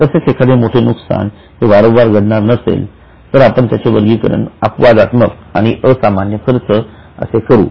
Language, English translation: Marathi, However, if there is a major loss which is not going to recur, you will categorize it as an exceptional or extraordinary